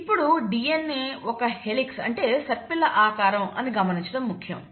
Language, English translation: Telugu, Now it is important to note that DNA is a helix